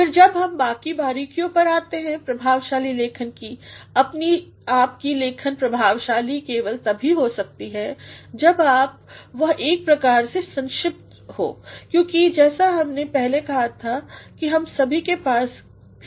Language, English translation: Hindi, Then, when we come to the other nuances of effective writing your writing can be effective only when it has got a sort of brevity; because as we said earlier that all of us have the problem of time